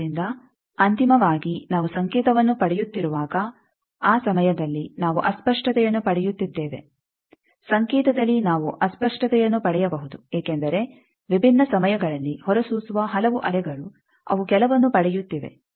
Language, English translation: Kannada, So, when finally, we are getting the signal that time we are getting a distortion in may get a distortion in the signal because, so many waves which are emitted at different times they are getting some